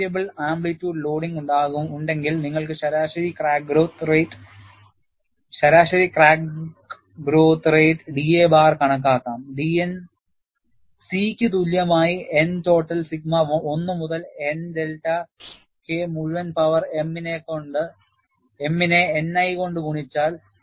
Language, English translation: Malayalam, Then, if we have a variable amplitude loading, you can calculate average crack growth rate d a bar divided by d N equal to C by N total sigma 1 to n delta K i whole power m multiplied by N i